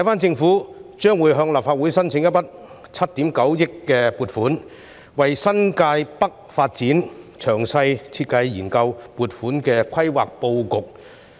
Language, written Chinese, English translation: Cantonese, 政府將會向立法會申請一筆7億 9,000 萬元的撥款，為新界北發展作詳細設計和研究撥款的規劃布局。, The Government will make an application to the Legislative Council for a funding of 790 million for detailed design and study on the planning of the development of New Territories North